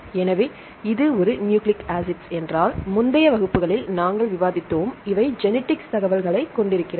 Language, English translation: Tamil, So, if it is a nucleic acid, we discussed in the previous classes, this is the one carry genetic information